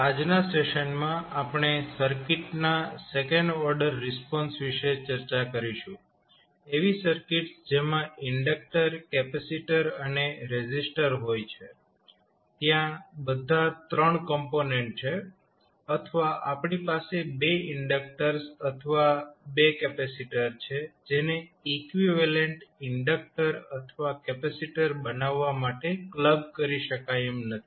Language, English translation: Gujarati, So, in today’s session we will discuss about the second order response of the circuit means those circuits which contain inductor, capacitor and resistor; all 3 components are there or we have 2 inductors or 2 capacitors which cannot be clubbed to become a equivalent inductor or capacitor